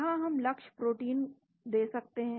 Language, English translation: Hindi, Here we can give the target protein